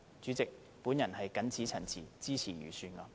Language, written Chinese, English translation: Cantonese, 主席，我謹此陳辭，支持預算案。, With these remarks President I support the Budget